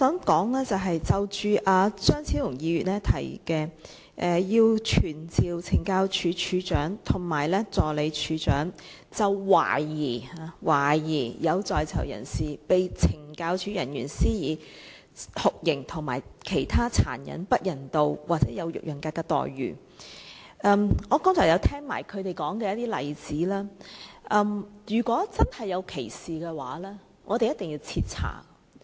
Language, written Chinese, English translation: Cantonese, 關於張超雄議員提出傳召懲教署署長及助理署長，就懷疑、懷疑有在囚人士被懲教署人員施以酷刑和其他殘忍、不人道或有辱人格的待遇作證，我剛才聽到他們說的例子，如果真有其事，我們一定要徹查。, Dr Fernando CHEUNG has moved a motion seeking to summon the Commissioner of Correctional Services and the Assistant Commissioner of Correctional Services Operations to testify in relation to suspected torture and other cruel inhuman or degrading treatment or punishment inflicted by any officer of the Correctional Services Department CSD on the prisoners . Having heard about the cases illustrated by them I believe we must thoroughly investigate the cases if they are really true